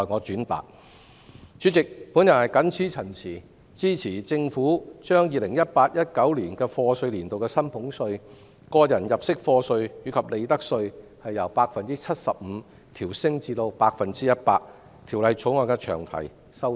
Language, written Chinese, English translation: Cantonese, 主席，我謹此陳辭，支持政府把 2018-2019 課稅年度的薪俸稅、個人入息課稅及利得稅的寬減率由 75% 調升至 100%， 並支持《條例草案》的詳題修訂。, With these remarks Chairman I support the Governments raising the concession rates for salaries tax tax under PA and profits tax from 75 % to 100 % for YA 2018 - 2019 . I also support the amendment to the Bills long title